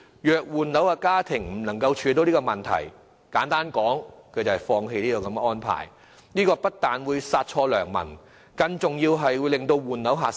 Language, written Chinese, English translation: Cantonese, 若換樓家庭無法處理這問題，簡單而言便要放棄這個安排，這不但會殺錯良民，更重要的是會令換樓的買家減少。, If families seeking to change flats cannot overcome the problem they have to simply give up the plan . This will not only render these families unnecessarily caught by the measures but more importantly will also reduce the number of potential buyers seeking to change flat